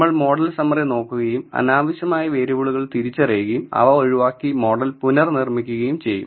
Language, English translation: Malayalam, We are also going to look at the model summary and identify the insignificant variables and discard them and rebuild the model